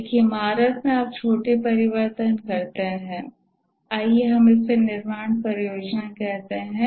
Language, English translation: Hindi, In a building, you make small alterations, let's say building project